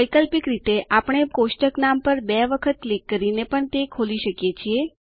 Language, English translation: Gujarati, Alternately, we can also double click on the table name to open it